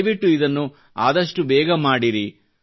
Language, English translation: Kannada, Please schedule it at the earliest